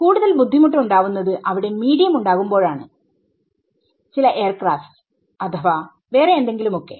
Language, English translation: Malayalam, The more difficult things happen when there is some medium some aircraft or whatever is there right